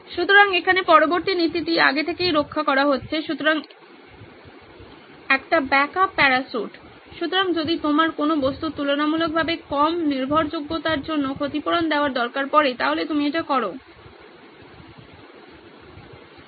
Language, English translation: Bengali, So in here the next principle is beforehand cushioning the example is a backup parachute, so you need something to compensate for the relatively low reliability of an object then you do this